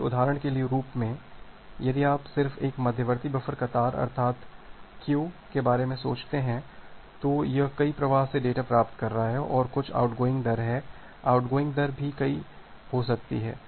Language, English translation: Hindi, So, as an example, if you just think of an intermediate buffer intermediate buffer queue it is receiving data from multiple flows and there is some outgoing rate the outgoing rate can also be multiple